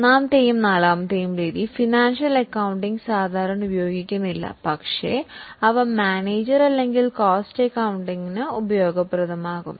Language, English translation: Malayalam, The third and fourth method are not used normally in financial accounting but they will be useful for managerial or for cost accounting